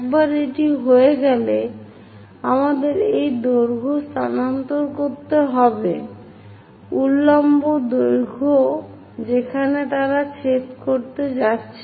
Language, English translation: Bengali, Once that is done we have to construct transfer this lengths, the vertical lengths where they are going to intersect